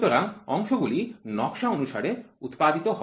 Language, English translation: Bengali, So, the parts are produced according to the drawing